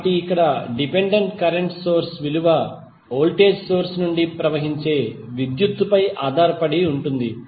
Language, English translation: Telugu, So, here the dependent current source value is depending upon the current which is flowing from the voltage source